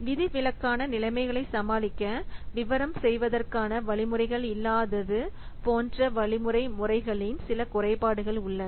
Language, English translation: Tamil, There are some drawbacks of algerding methods such as it lacks the means to detail with to deal with exceptional conditions